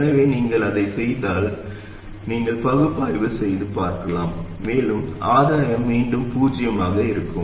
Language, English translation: Tamil, So if you do that, you can analyze it and see and the gain will again be 0